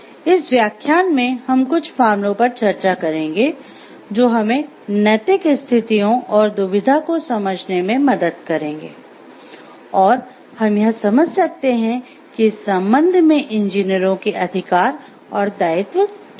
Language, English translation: Hindi, In this lectures we will be discussing few cases which will help us to understand the moral situations and dilemma and how we can understand what are the rights and responsibilities of the engineers with respect to it